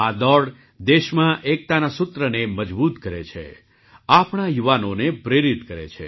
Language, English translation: Gujarati, This race strengthens the thread of unity in the country, inspires our youth